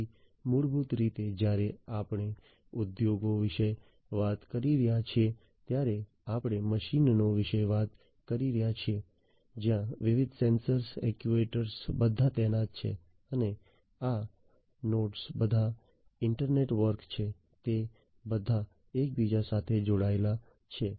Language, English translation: Gujarati, So, basically you know when we are talking about industries, we are talking about machines , where different sensors actuators are all deployed and these nodes are all inter network, they are all interconnected